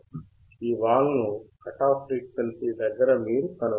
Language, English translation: Telugu, You can find the slope nearby the cut off frequency